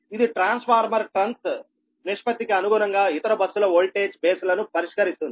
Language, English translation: Telugu, this fixes the voltage bases for other buses in accordance to the transformer trans ratio